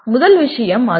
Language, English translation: Tamil, First thing is that